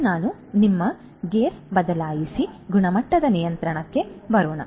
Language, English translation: Kannada, Now, let us switch our gear and come to quality control